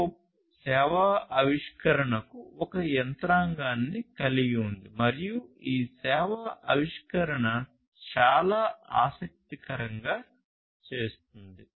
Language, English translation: Telugu, So, CoAP includes a mechanism for service discovery and it is this service discovery that makes it very interesting